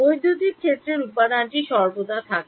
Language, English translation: Bengali, The material the electric field is always there